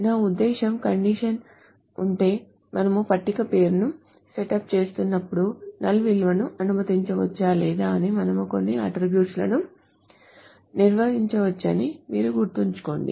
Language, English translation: Telugu, I mean if the condition, remember that while we were setting up the table name, we can define certain attributes as whether they can allow null values or not